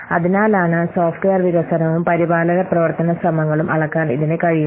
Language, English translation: Malayalam, So, that's why it can measure the software development and the maintenance activities, efforts